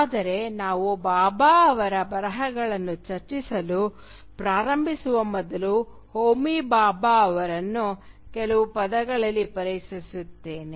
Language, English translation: Kannada, But before we start discussing the writings of Bhabha, let me introduce to you Homi Bhabha in a few words